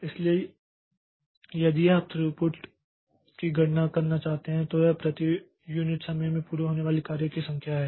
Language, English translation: Hindi, So, throughput is the number of processes that that completes their execution per unit time